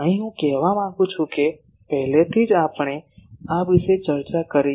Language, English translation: Gujarati, Here, I want to say that already we have discussed these